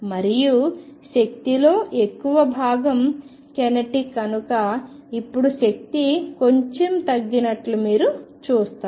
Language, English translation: Telugu, And since the majority of energy is kinetic you will see that now the energy gets lowered a bit